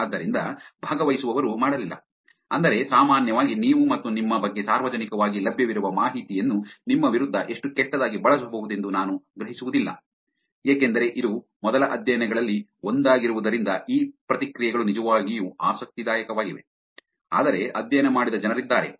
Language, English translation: Kannada, So, participants did not, meaning generally also you and I will not perceive how bad the publicly available information about you can be used against you, since this was one of the first studies these reactions were actually interesting, but there are people who have done the studies after this which were again you studied how people fall for phishing emails